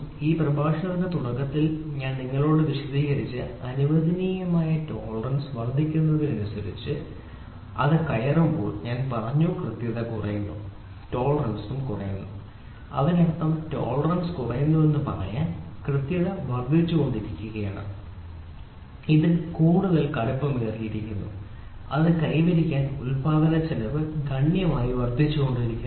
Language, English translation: Malayalam, As the permissible tolerance goes on increasing which I explained to you in the beginning of this lecture the accuracy I said as the permissible tolerance goes on decreasing tolerance goes on decreasing; that means, to say the tolerance is decreasing, the accuracy is increasing it is becoming tighter and tighter, the manufacturing cost incurred to be achieved it goes on increasing exponentially